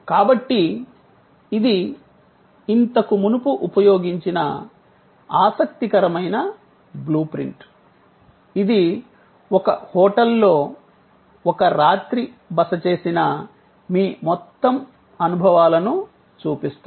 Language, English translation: Telugu, So, this is an interesting blue print that will get already used before, it shows your entire set of experience of staying for a night at a hotel